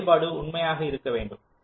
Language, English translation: Tamil, this function has to true